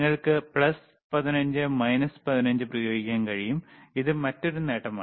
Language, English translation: Malayalam, Then you you can apply plus 15 minus 15 right thatwhich is the another advantage